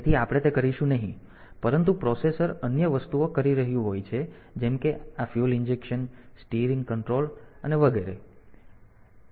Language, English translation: Gujarati, So, we will not do that, but the processor is doing other things like this fuel injection steering control and all that